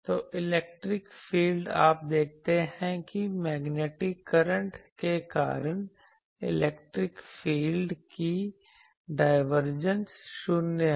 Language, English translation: Hindi, So, electric field you see that the divergence of the electric field due to the magnetic current that is 0